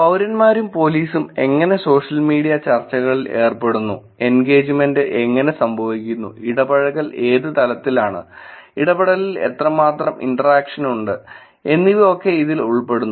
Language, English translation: Malayalam, And how the citizens and police engaged in social media discussions, how the engagement happens, what level of the engagement is it, how much engagement is there in the interaction